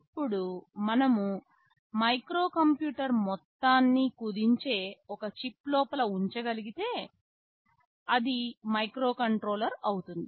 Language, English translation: Telugu, Now, if the whole of the microcomputer we can shrink and put inside a single chip, I get a microcontroller